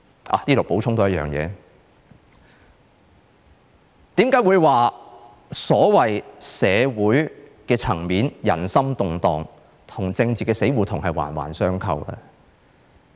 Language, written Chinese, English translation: Cantonese, 在此多補充一點，為何我會說在社會層面人心動盪，與政治的死胡同是環環相扣呢？, Let me make one more point here . Why do I say that at society level peoples anxiety is closely linked to the political blind alley?